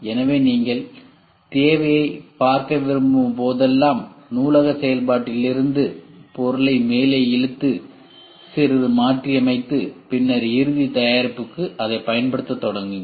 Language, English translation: Tamil, So, whenever you want looking into the requirement you pull up the material from the library function, modify little bit and then start using it for the final product